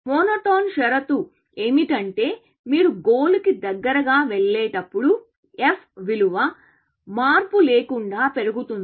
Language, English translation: Telugu, A monotone condition is that, as you move closer to the goal, the f value monotonically increases